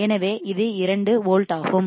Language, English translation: Tamil, So, it is 2 volts